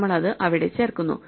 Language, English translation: Malayalam, So, we insert it there